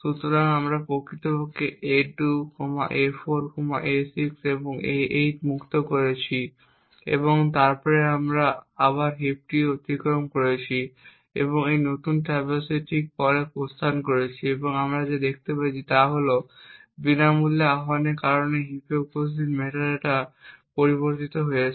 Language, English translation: Bengali, So we in fact we have freed a2, a4, a6 and a8 and we then traverse the heap again and put the exit just after this new traverse and what we are going to see is the metadata present in the heap changed due to the free invocations that are done